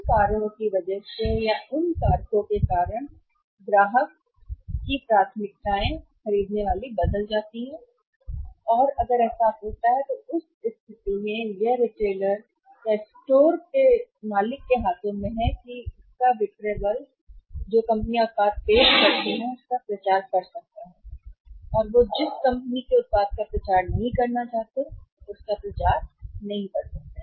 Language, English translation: Hindi, So, because of those reasons because of those factors customers buying preferences changed and if that happens in that case ultimate it is in the hands of the retailer or the store owner or his sales force that which companies project product they can promote and which company's product they do not want to promote they cannot or they may not promote